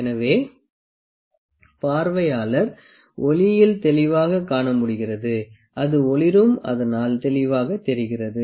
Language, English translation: Tamil, So, as the observer can clearly see, clearly see or light it illuminates and it can be clearly seen